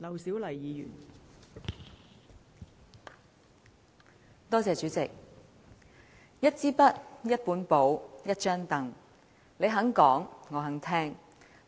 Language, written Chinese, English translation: Cantonese, 代理主席，"一支筆、一本簿、一張櫈，你肯講，我肯聽"。, Deputy President I bring with me a pen a notepad and a stool . As long as you are willing to speak I am ready to listen